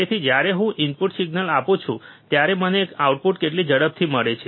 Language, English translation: Gujarati, So, when I give a input signal, how fast I I get the output